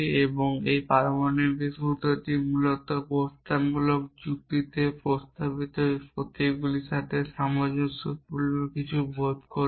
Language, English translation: Bengali, And this atomic formulas will some sense of correspond to the propositional symbols in propositional logic essentially